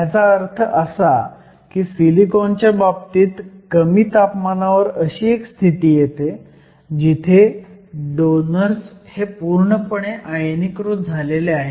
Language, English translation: Marathi, What this means is at a relatively low temperature in the case of silicon, you have a situation where the donors are completely ionized